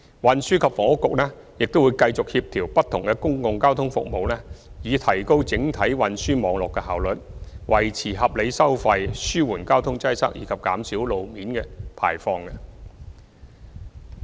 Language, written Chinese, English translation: Cantonese, 運輸及房屋局會繼續協調不同的公共交通服務以提高整體運輸網絡的效率、維持合理收費、紓緩交通擠塞，以及減少路邊排放。, Other modes will continue to supplement the railways . The Transport and Housing Bureau will continue to coordinate different public transport services to enhance overall network efficiency maintain reasonable fares relieve congestion and reduce roadside emissions